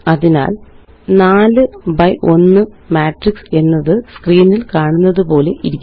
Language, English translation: Malayalam, So a 4 by1 matrix will look like as shown on the screen